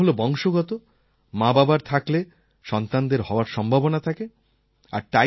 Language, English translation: Bengali, Type 1 is hereditary; if the parents have it, so shall their child